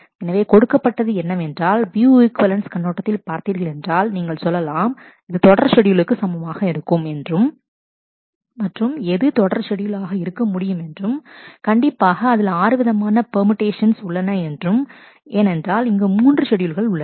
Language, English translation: Tamil, So, given that but if you in terms of the view equivalence we balance, then you will say that this is equivalent to a serial schedule and what should be the serial schedule; obviously, there are 6 choices because there are 3 schedules